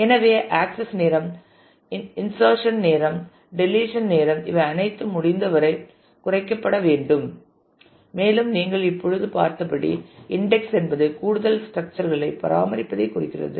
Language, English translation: Tamil, So, that the access time the insertion time the deletion time all these should get as minimized as possible and as you have just seen indexing might mean maintaining additional structures